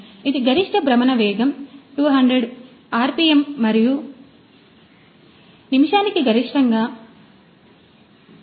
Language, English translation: Telugu, It has got a maximum rotational speed of 200 rpm and the maximum 1000 per minute